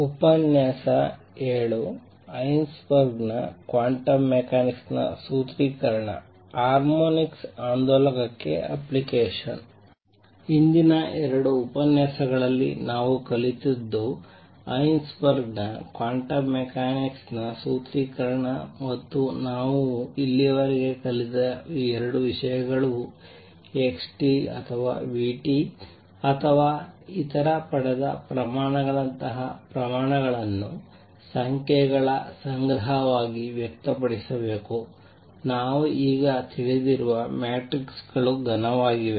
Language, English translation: Kannada, So, what we have learnt in the previous 2 lectures is the Heisenberg’s formulation of quantum mechanics and 2 things that we have learned so far our number one that quantities like xt or vt or other derived quantities are to be expressed as a collection of numbers, which we now know are matrices solid as matrices